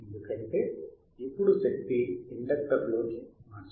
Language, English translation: Telugu, Because now the energy is converted into the inductor